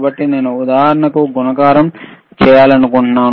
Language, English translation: Telugu, So, I want to do a multiplication for example